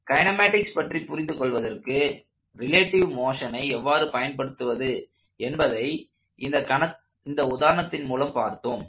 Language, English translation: Tamil, So, this example is used to illustrate how you could use relative motion to understand kinematics